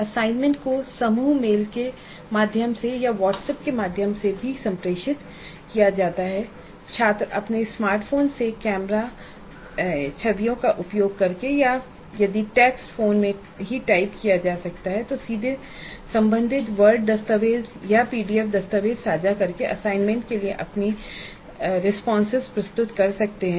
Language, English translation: Hindi, The assignment is communicated through group mails or through WhatsApp again and the students can submit their responses to the assignments using either camera images from their smartphones or if it's a text that is typed in the phone itself directly by sharing the relevant word document or a PDF document